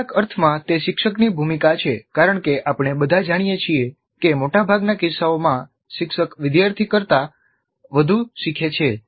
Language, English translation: Gujarati, So in some sense it is the role of the teacher and as we all know in most of the cases the teacher learns more than the student